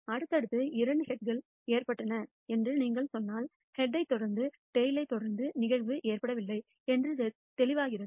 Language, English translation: Tamil, If you tell me two successive heads have occurred, it is clear that the event of head followed by a tail has not occurred